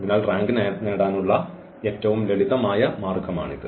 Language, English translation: Malayalam, So, this is a simplest way of getting the rank